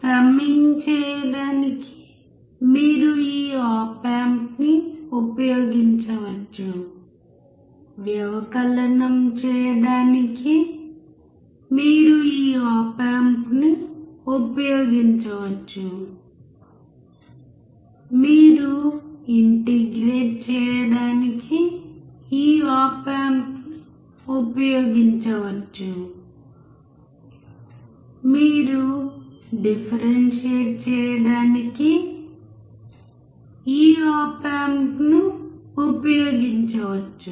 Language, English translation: Telugu, You can use this op amp to do addition; you can use this op amp to do subtraction; you can use this op amp to integrate; you can use this op amp to differentiate